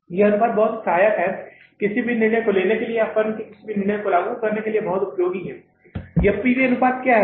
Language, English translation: Hindi, This ratio is very very helpful, very useful to take any decision or to implement any decision in the firm